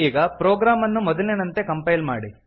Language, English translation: Kannada, Now compile the program as before